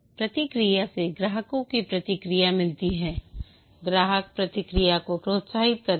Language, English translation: Hindi, Feedback, get customer feedback, encourage customer feedback